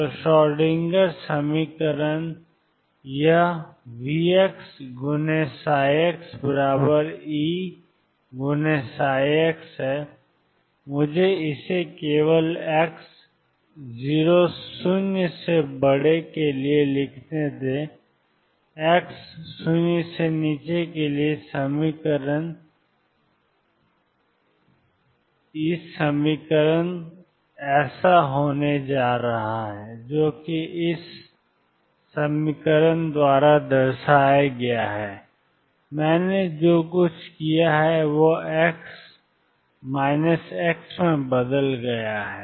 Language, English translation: Hindi, So, the Schrodinger equation is this plus V x psi x equals e psi x, let me write this only for x greater than 0, the equation for x less than 0 is therefore, going to be from this equation minus h crosses square over 2 m d 2 psi minus x over d minus x square plus V minus x psi minus x equals e psi minus x, all I have done is change x 2 minus x